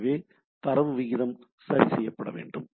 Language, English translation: Tamil, So, the data rate need to be fixed